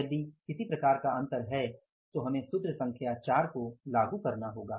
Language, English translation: Hindi, If there is any kind of the difference then we will have to apply the formula number 4